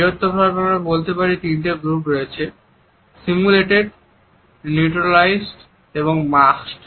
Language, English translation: Bengali, Largely we can say that they exist in three groups; simulated, neutralized and masked expressions